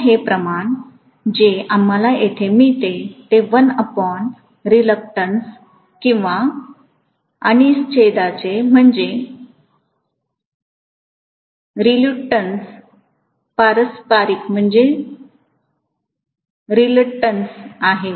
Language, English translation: Marathi, So this ratio whatever we have got here is going to be 1 by reluctance or reciprocal of reluctance